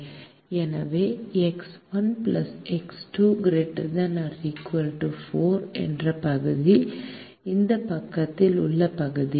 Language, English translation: Tamil, therefore, the region that is x one plus x two greater than four is the region on this side